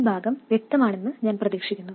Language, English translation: Malayalam, I hope this part is clear